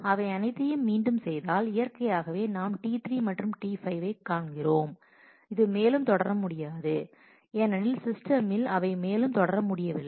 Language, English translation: Tamil, If we redo all of them then naturally we come across T 3 and T 5 which cannot proceed further because the system had could not proceed further because